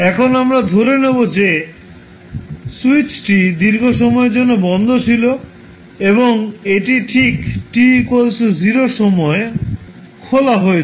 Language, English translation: Bengali, Now, we assume that switch has been closed for a long time and it was just opened at time t equal to 0